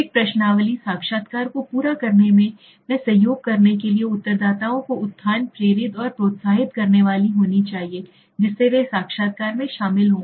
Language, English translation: Hindi, A questionnaire must please again, it is must uplift, motivate and encourage the respondent to become involved in their interview to cooperate and to complete the interview